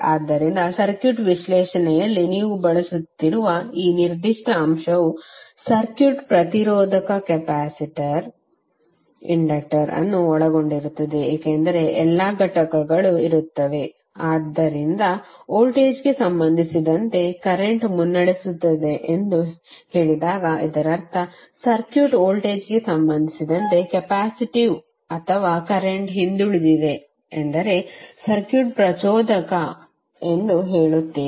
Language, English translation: Kannada, So this particular aspect you will keep on using in your circuit analysis because the circuit will compose of resistor, capacitor, inductor all components would be there, so when you will say that current is leading with respect to voltage it means that the circuit is capacitive or even the current is lagging with respect to voltage you will say the circuit is inductive